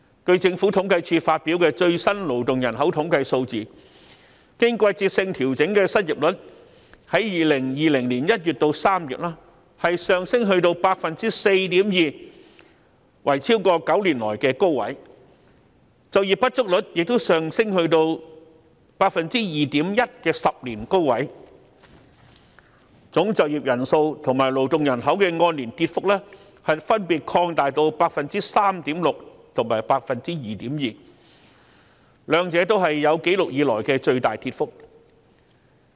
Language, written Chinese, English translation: Cantonese, 據政府統計處發表的最新勞動人口統計數字，經季節性調整的失業率，在2020年1月至3月，上升至 4.2%， 是9年來的高位，就業不足率亦上升到 2.1% 的10年高位，總就業人數及勞動人口的按年跌幅分別擴大至 3.6% 及 2.2%， 兩者也是有紀錄以來的最大跌幅。, According to the latest labour force statistics released by the Census and Statistics Department the seasonally adjusted unemployed rate increased to 4.2 % between January and March 2020 which is the highest in nine years . The underemployed rate also increased to a decade high of 2.1 % . Both the year - on - year rate of decline in total employment and workforce widened to 3.6 % and 2.2 % respectively the biggest drops on record